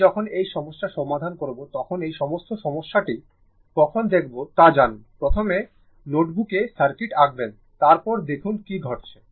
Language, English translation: Bengali, When you will solve this problem know all this problem when you will see this, first you will draw the circuit on your notebook after that you see what is happening right